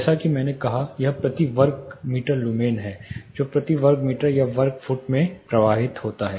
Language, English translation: Hindi, Older as I said it is lumens per square meter that is flux per square meter or square feet